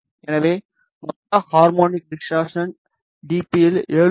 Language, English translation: Tamil, So, the total harmonic distortion is 7